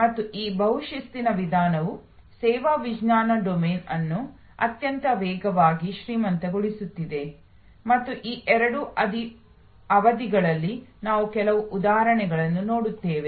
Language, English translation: Kannada, And this multi disciplinary approach is enriching the service science domain very rapidly and we will see some examples during these two sessions